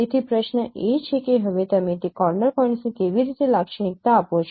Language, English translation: Gujarati, So the question is that now how do you characterize those corner points